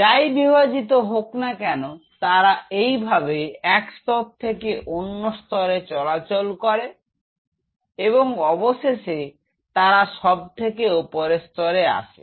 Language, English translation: Bengali, So, whatever divides here they move like this layer by layer them move and then they come to the uppermost layer